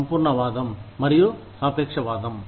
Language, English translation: Telugu, Absolutism versus relativism